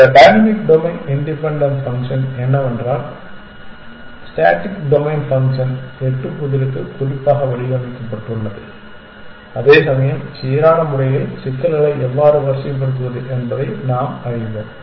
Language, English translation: Tamil, This dynamic domain independent function is that the static domain function was devise specifically for the eight puzzle whereas, when we learn how to sort of pose problems in the uniform manner